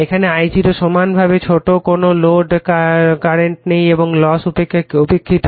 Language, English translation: Bengali, Now, I0 is equally small no load current and loss is neglected right